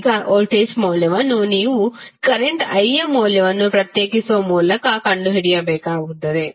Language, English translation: Kannada, Now, voltage value you will have to find out by simply differentiating the value of current i